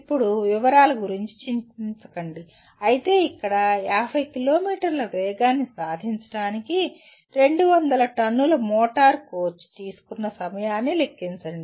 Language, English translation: Telugu, Now if you look at, let us not worry about the detail, but here calculate time taken by 200 ton motor coach to attain the speed of 50 km